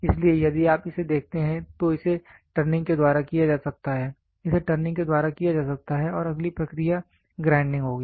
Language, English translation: Hindi, So, if you look at it this can be done by turning, this can be done by turning and the next process will be grinding